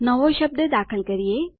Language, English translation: Gujarati, Shall we enter a new word